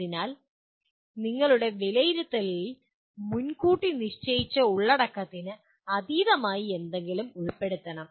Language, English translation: Malayalam, So your assessment should include something which is beyond the predetermined content